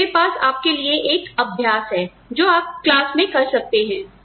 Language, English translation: Hindi, So, I have an exercise for you, that you can have in class, that I will not be evaluating